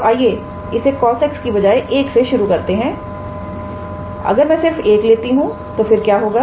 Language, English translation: Hindi, So, let us start with just 1 instead of cos x if I take just 1 then what would happen